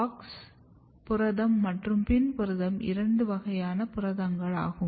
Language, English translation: Tamil, So, basically there are two kinds of protein AUX protein and PIN protein